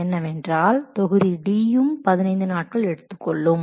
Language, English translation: Tamil, And next, that means specify module D also takes 15 days